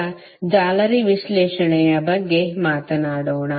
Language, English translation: Kannada, Now, let us talk about mesh analysis